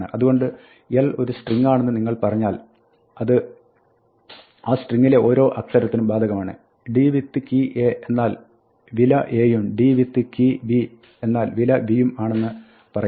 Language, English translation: Malayalam, So, what it is this saying, so when you say for l in a string it goes to each letter in that string, so want to say d with key a is the value a, d with the key b is the value b and so on right